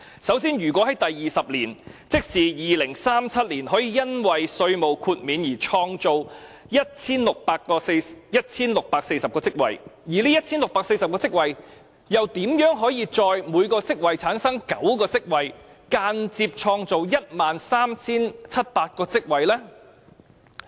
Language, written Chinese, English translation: Cantonese, 首先，如果在第二十年，即是2037年可以因為稅務豁免而創造 1,640 個職位，而這 1,640 個職位又如何各自產生9個職位，間接創造 13,700 個職位呢？, First suppose in Year 20 that is in 2037 1 640 positions will be created due to the tax concession . Then how is each of these 1 640 positions going to generate 9 further positions to create a total of 13 700 positions indirectly?